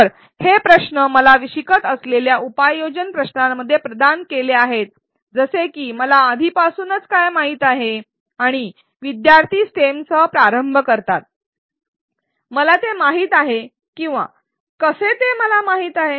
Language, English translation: Marathi, So, these questions are provided in the learning app questions such as what do I already know and students start with the stem, I know that or I know how